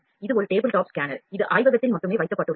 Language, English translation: Tamil, This is a tabletop scanner that is kept in the lab only